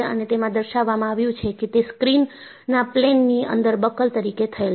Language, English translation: Gujarati, And, it is shown that, it is buckled in the plane of the screen